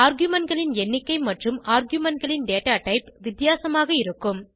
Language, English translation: Tamil, The number of arguments and the data type of the arguments will be different